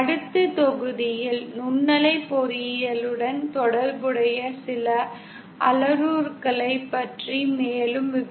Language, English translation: Tamil, In the next module, we shall be further discussing something parameters associated with microwave engineering